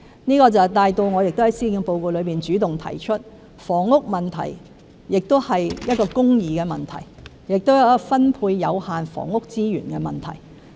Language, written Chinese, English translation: Cantonese, 這亦帶到我在施政報告中主動提出，房屋問題是一個公義的問題，亦是分配有限房屋資源的問題。, This has also prompted me to state in the Policy Address that housing is an issue of justice and relates to the allocation of limited housing resources